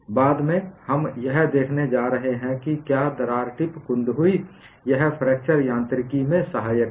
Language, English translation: Hindi, Later on, we are going to see if crack tip blunts, it is helpful in fracture mechanics